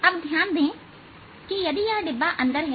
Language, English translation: Hindi, now notice if this box is inside